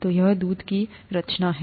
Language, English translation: Hindi, So this is the composition of milk